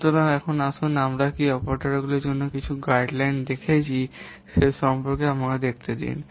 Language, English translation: Bengali, So now let's see about the, we have seen some of the guidelines for the part operators